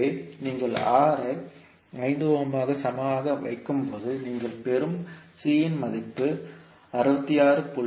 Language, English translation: Tamil, So when you put R equal to 5ohm, the value of C you will get is 66